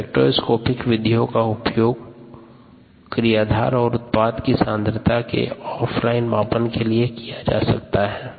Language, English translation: Hindi, spectroscopic methods can be used for off line measurement of concentration of substrates and products